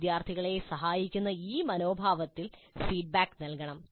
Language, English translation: Malayalam, And feedback must be provided in this spirit of helping the students